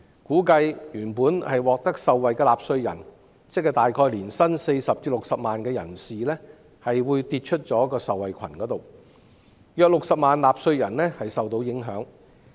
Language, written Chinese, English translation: Cantonese, 估計一些原本受惠的納稅人，即年薪40萬元至60萬元的人士會跌出受惠群，約有60萬納稅人受到影響。, It is expected that those taxpayers who would have benefited ie . those earning between 400,000 and 600,000 a year will no longer benefit from the measures concerned and the number of those affected is estimated at about 600 000